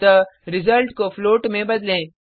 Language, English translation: Hindi, So let us change the result to a float